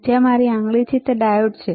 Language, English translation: Gujarati, Where my finger is there diode is there